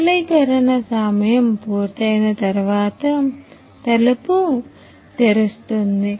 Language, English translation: Telugu, The door opens after the cooling time is completed